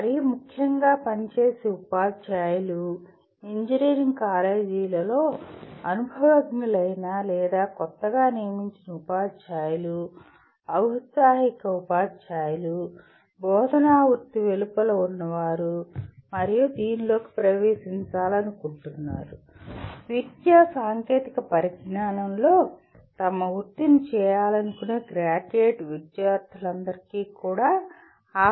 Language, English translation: Telugu, Most importantly the working teachers, either the experienced or newly recruited teachers in engineering colleges, aspiring teachers, those who are outside the teaching profession and want to get into this and also graduate students who wish to make their careers in education technology